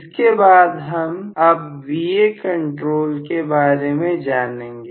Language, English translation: Hindi, Then next one, what we are going to look at this Va control